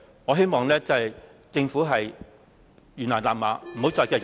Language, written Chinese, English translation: Cantonese, 我希望政府懸崖勒馬......, I hope the Government can stop before it is too late instead of going ahead